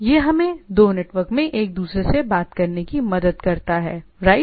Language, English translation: Hindi, It helps us two application talking to each other across the network, right